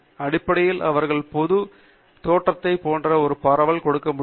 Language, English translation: Tamil, Essentially, because they normally give you a spread sheet like appearance